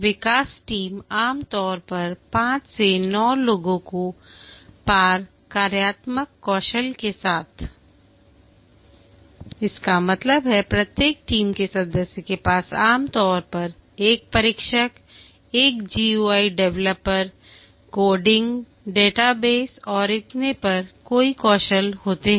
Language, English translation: Hindi, The development team typically 5 to 9 people with the crossfunctional skills, that means each team member typically has multiple skills, may be a tester, a GY developer, coding, database, and so on